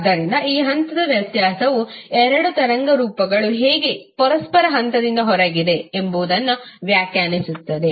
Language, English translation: Kannada, So this phase difference will define that how two waveforms are out of phase with each other